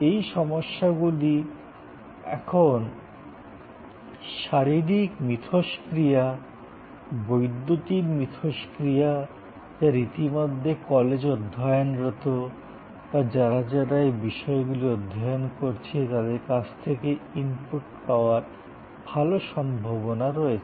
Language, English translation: Bengali, All these now have physical interactions, electronic interactions, good possibility of getting inputs from people who are already studying in those colleges, people who are already studying those subjects